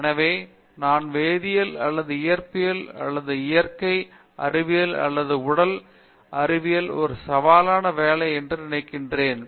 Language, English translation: Tamil, So, I don’t think the chemistry or even physics or even natural sciences or physical science is a challenging job